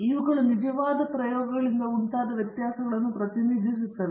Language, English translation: Kannada, So, these are representing the variations caused by the actual experiments